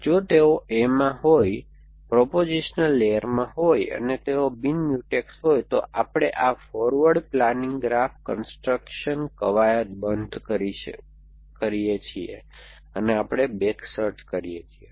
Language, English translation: Gujarati, If they happen be in A, in a proposition layer and they are non Mutex, then we stop this forward planning graph construction exercise and we go to a backward search